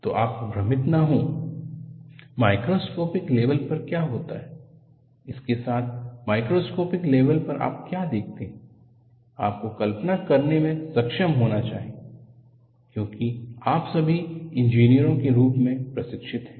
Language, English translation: Hindi, So, do not confuse what happens at microscopic level, with what you see in a macroscopic level, you should be able to visualize as you are all trained as engineers